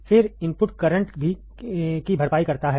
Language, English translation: Hindi, Then the input offset current